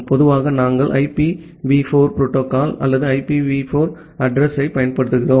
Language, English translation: Tamil, Normally, we use IPv4 protocol or IPv4 address